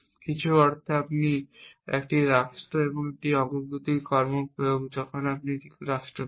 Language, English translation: Bengali, In some sense is that when you apply a progress action to a state what you get is a state